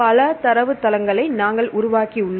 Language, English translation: Tamil, So, you have several databases